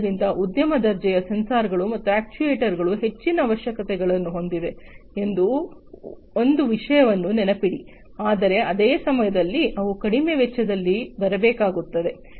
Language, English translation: Kannada, And so remember one thing that industry grade sensors and actuators have higher requirements, but at the same time they have to come in lower cost